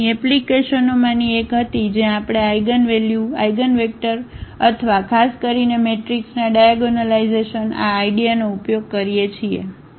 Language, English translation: Gujarati, So, here was the one of the applications where we use this eigenvalues, eigenvectors or in particular this idea of the diagonalization of the matrix